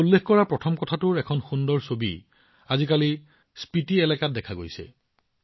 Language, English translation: Assamese, The first lesson that I mentioned, a beautiful picture of it is being seen in the Spiti region these days